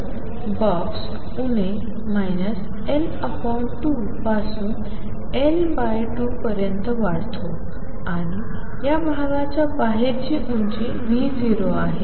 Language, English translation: Marathi, So, the box extends from minus L by 2 to L by 2 and the height outside this region is V 0